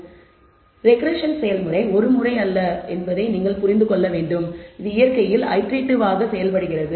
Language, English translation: Tamil, So, you have to understand that the regression process it is itself is not a once through process, it is iterative in nature